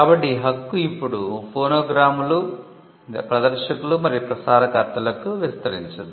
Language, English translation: Telugu, So, the right got extended to producers of phonograms, performers and broadcasters